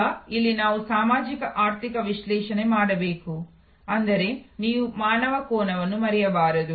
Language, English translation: Kannada, Now, here we have to do a socio economic analysis; that means, you should not forget the human angle